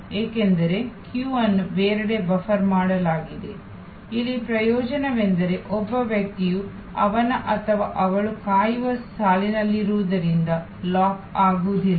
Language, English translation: Kannada, Because, the queue is buffered elsewhere of course, here the advantage is that a person is not locked in as he or she is in a waiting line